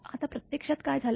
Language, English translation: Marathi, Now what happened actually